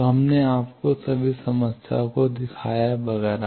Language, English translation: Hindi, So, we have shown you all the problems, etcetera